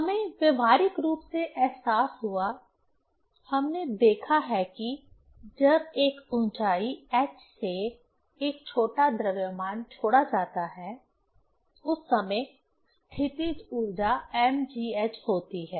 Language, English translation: Hindi, We realized practically, we have seen that a small mass at a height h when it is released, that time potential energy is mgh